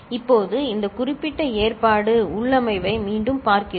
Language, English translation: Tamil, Now, we look at again, this particular arrangement, configuration